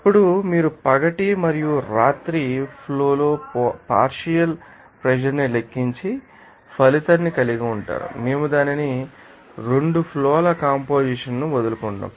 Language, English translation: Telugu, You then calculate the partial pressures in the day and night is streams and result off which is in effect, we will give it up composition of the 2 streams